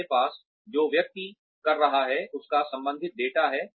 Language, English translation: Hindi, We have data related to, what the person has been doing